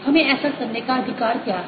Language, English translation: Hindi, what gives us the right to do so